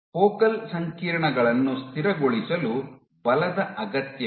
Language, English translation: Kannada, Forces are required to stabilize focal complexes